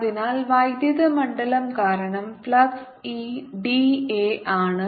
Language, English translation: Malayalam, so flux because of the electric field is e, d, a